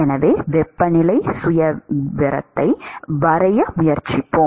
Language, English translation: Tamil, So, let us try to sketch the temperature profile